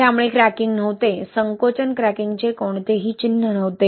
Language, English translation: Marathi, So, there was no cracking, no sign of shrinkage cracking, right